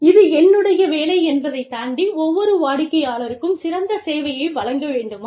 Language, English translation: Tamil, Should I go above and beyond the call of duty, and give every customer, the best possible service